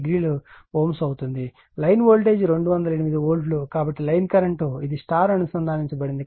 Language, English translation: Telugu, 87 degree ohm right , line voltage is 208 volt therefore, line current will be just, your it is your star connected